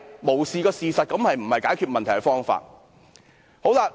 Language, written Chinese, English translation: Cantonese, 無視事實並非解決問題的方法。, One cannot solve a problem by ignoring the facts